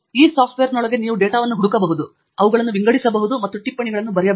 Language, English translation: Kannada, You can search for data within this software, you can also sort them out, and you can write notes